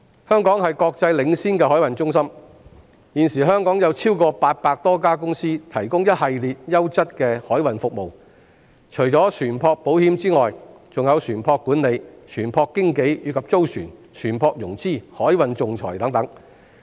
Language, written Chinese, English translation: Cantonese, 香港是國際領先的海運中心，現時香港有超過800多家公司提供一系列優質的海運服務，除了船舶保險之外，還有船舶管理、船舶經紀，以及租船、船舶融資、海運仲裁等。, Hong Kong is a leading international shipping centre with more than 800 companies operating in the territory to provide a range of quality maritime services such as ship insurance ship management ship brokerage chartering ship financing and maritime arbitration